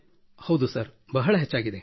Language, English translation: Kannada, Yes Sir, it has increased a lot